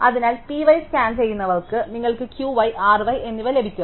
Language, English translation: Malayalam, So, ones scan of P y you get Q y and R y